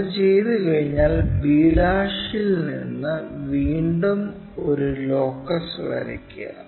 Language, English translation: Malayalam, Once, that is done from b ' draw again a locus